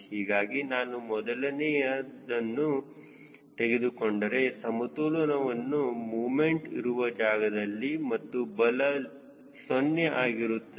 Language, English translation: Kannada, so if i take the first one, the equilibrium is where net moment and forces are zero